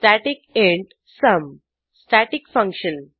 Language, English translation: Marathi, static int sum Static function